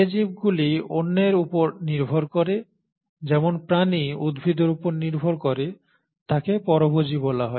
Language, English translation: Bengali, Organisms which depend on others, like animals which depend on plants, are called as heterotrophic